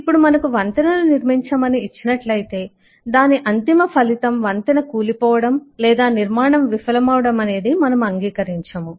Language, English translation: Telugu, and by now, if you are given to construct a bridge, then we do not accept this eh outcome, that the bridge may fall, that the construction may not succeed